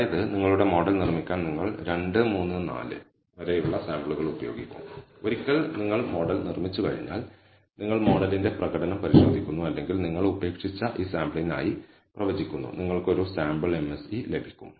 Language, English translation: Malayalam, That means, you will use samples 2, 3, 4 up to n to build your model and once you have built the model you test the performance of the model or predict for this sample that you have left out and you will get an MSE for the sample